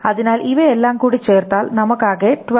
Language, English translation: Malayalam, So if we add all this up together, we get a total time of 12